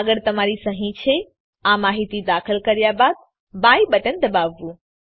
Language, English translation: Gujarati, Next is your signature , After entering this information i have to press the buy button